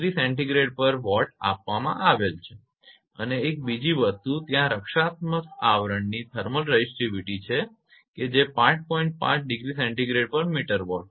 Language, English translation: Gujarati, 5 degree Celsius meter per watt and one more thing is there thermal resistivity of protective covering that is 5 degree centigrade meter per watt